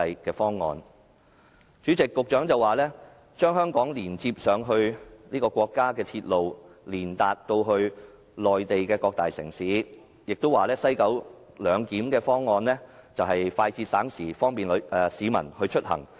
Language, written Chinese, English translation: Cantonese, 代理主席，局長說將香港連接至國家的鐵路網絡，通達內地的各大城市，亦說西九龍站"一地兩檢"的方案快捷省時，方便市民出行。, Deputy President the Secretary said that Hong Kong will be connected to the national railway network reaching all major cities in the Mainland . He also said that the co - location arrangement at the West Kowloon Station will be time - saving and convenient for travellers